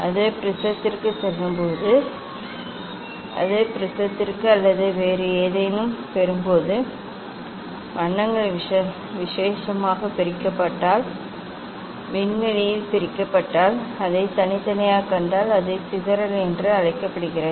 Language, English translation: Tamil, when it passes to the prism; when it passes to the prism or any other getting then if the colours are separated specially, if the colours are separated specially in space if you see that separately that is called dispersion